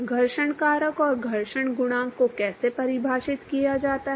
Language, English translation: Hindi, How is the friction factor and friction coefficient defined